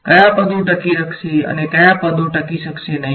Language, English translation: Gujarati, Which terms will survive which terms may not survive